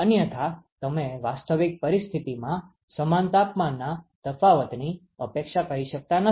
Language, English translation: Gujarati, Otherwise you cannot expect the same temperature difference to occur in a real situation